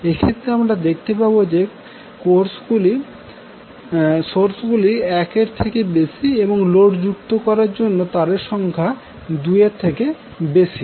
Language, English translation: Bengali, So, in these cases you will see that the courses are more than 1 and number of wires are also more than 2 to connect to the load